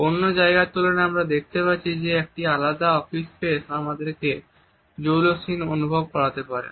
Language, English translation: Bengali, In comparison to others we find that a different office space can also make us feel rather clingy